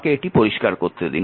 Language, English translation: Bengali, Then now let me clean this one